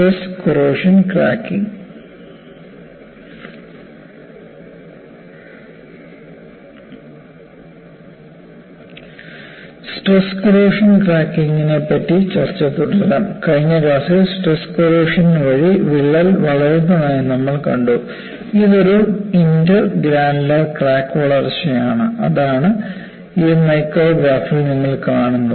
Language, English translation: Malayalam, Let us continue our discussion on stress corrosion cracking, and we have looked at, in the last class, crack grows by a stress corrosion, and we saw that, it was an inter granular crack growth, that is, what you see in this micrograph